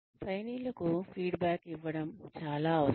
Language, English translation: Telugu, It is very essential to give, feedback to the trainees